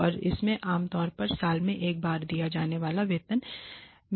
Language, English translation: Hindi, And it consists of an increase in base pay normally given once a year